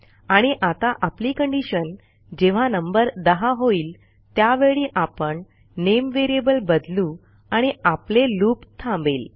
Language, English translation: Marathi, Now the condition when the number reaches 10, I want a variable called name, to be changed to another name in which the loop will stop